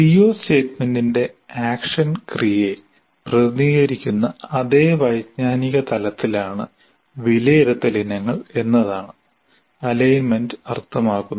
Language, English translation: Malayalam, Or in another way, alignment means the assessment items are at the same cognitive level as represented by the action verb of the C O statement